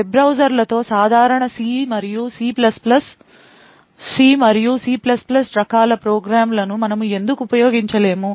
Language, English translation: Telugu, Why cannot we actually use regular C and C++ type of programs with web browsers